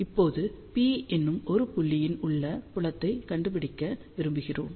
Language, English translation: Tamil, Now, we want to find out the field at a point P, which is at a distance of r from the origin